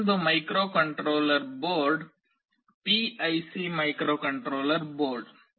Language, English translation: Kannada, Another microcontroller board is PIC microcontroller board